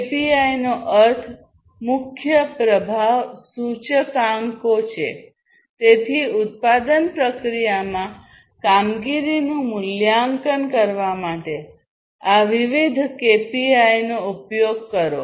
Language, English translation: Gujarati, KPIs means key performance indicators so, use of these different KPIs to assess the performance in the production process